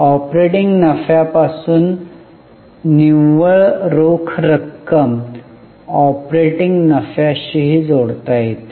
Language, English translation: Marathi, One can also link the net cash from operating revenues to the operating profits